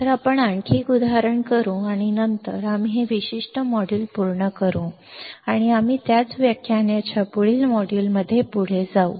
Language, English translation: Marathi, So, let us do one more example and then, we will finish this particular module and we continue in a next module of the same lecture